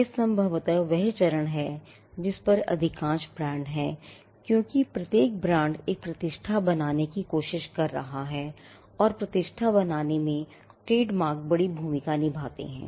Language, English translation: Hindi, Now, this probably is the stage at which most brands are because, every brand is trying to create a reputation and trademarks do play a big role in creating reputation